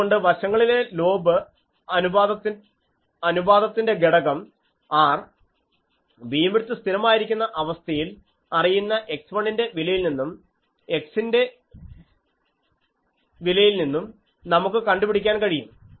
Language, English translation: Malayalam, So, we can also specify the side lobe ratio parameter R in which case the beam width is fixed and can be found from the known value of x 1 and the value of x